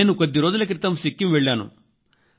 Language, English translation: Telugu, I visited Sikkim few days ago